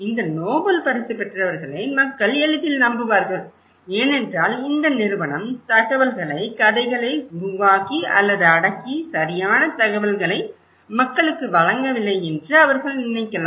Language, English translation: Tamil, People, of course, would easily trust more these Nobel laureates because they can think that this company may be fabricating or suppressing the informations, making stories and not and they are not giving the right information to the people